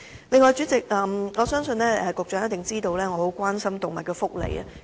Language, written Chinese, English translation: Cantonese, 此外，主席，我相信局長一定知道我十分關心動物福利。, What is more President I believe the Secretary certainly knows that I am greatly concerned about animal welfare